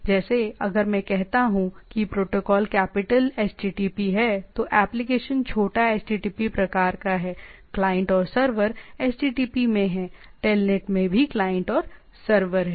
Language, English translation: Hindi, Like if I say the protocol is capital HTTP the application is small http type of things or the client is there server is HTTP there, here also there